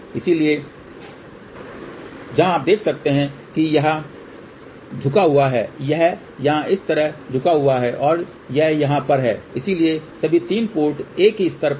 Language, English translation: Hindi, So, where you can see that this is bent here this is bent like this here and this one over here, so the all the 3 ports are at the same level ok